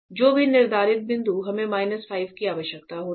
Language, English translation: Hindi, Whichever set point we require a minus 5